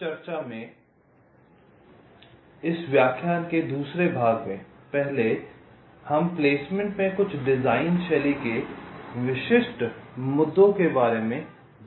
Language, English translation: Hindi, so in this second part of the lecture, first we talked about some of the design style specific issues in placement